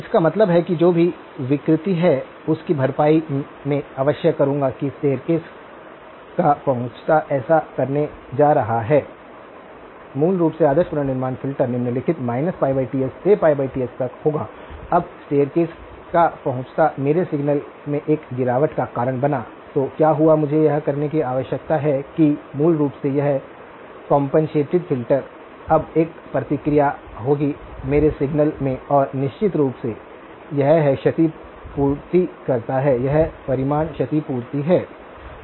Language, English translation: Hindi, That means I must compensate for whatever distortion that the staircase approximation is going to do so, basically the ideal reconstruction filter would be of the following form minus pi over Ts to pi over Ts, now the staircase approximation caused a droop in my signal, so what I need to do is the basically this compensated filter will now have a response that compensates for the droop okay and of course, that is it; that is the magnitude compensation